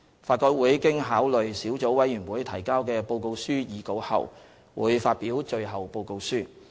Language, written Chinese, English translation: Cantonese, 法改會經考慮小組委員會提交的報告書擬稿後，會發表最後報告書。, After considering the draft reports submitted by the Sub - committees LRC will publish the final reports